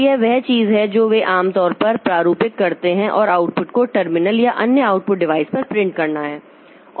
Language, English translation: Hindi, Typically, these programs format and print the output to the terminal or other output devices